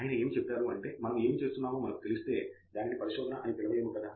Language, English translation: Telugu, He said, if we knew what we were doing, it would not be called research, would it